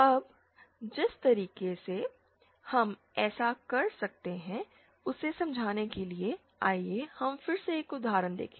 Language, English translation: Hindi, Now to understand the way in which we can do this, let us see again an example